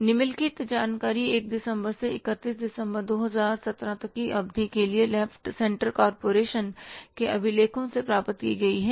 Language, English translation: Hindi, The following information has been obtained from the records of left central corporation for the period from December 1 to December 31 2017